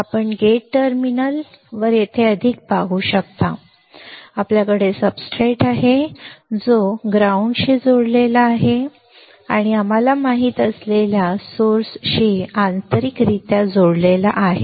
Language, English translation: Marathi, You can see here plus at gate terminal; you have substrate, which is connected to the ground or connected to the ground and also internally connected to the source that we know